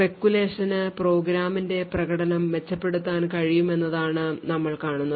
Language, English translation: Malayalam, So, what we see is that the speculation could possibly improve the performance of the program